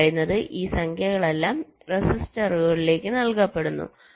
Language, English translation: Malayalam, so these numbers are all being fed into resistors